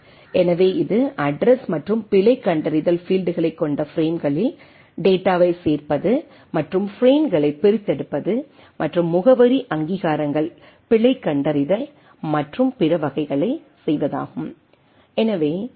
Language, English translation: Tamil, So, that is one of the major aspects assembly of data into frames with address and error detection fields and deassembly of frames and performing address recognitions error detection and other types